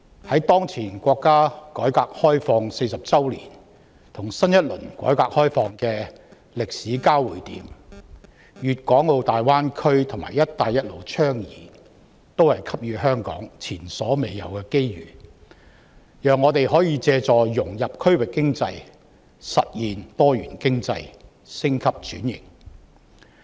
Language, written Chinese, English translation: Cantonese, 在當前國家改革開放40周年與推出新一輪改革開放政策的歷史交匯點，粵港澳大灣區及"一帶一路"倡議均給予香港前所未有的機遇，讓我們可以透過融入區域經濟來實現經濟多元化及升級轉型。, At the historical intersection between the 40 anniversary of reform and opening up of the country and the introduction of a new round of reform and opening up policies the Guangdong - Hong Kong - Macao Greater Bay Area and the Belt and Road Initiative both offer Hong Kong unprecedented opportunities which will enable us to accomplish the diversification and upgrading of our economy through integration with the regional economy